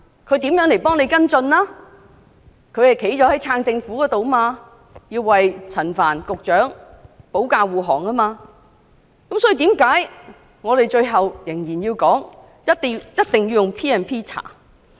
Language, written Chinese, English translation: Cantonese, 他們站在支持政府的一方，要為陳帆局長保駕護航，這就是為何我們最後仍然堅持必須引用 P&P 進行調查。, They side with the Government coming to the defence of Secretary Frank CHAN . That is why we ultimately still insist that we must invoke PP Ordinance to conduct an inquiry